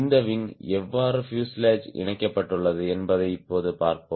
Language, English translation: Tamil, now we will see how this wing is attached to the fuselage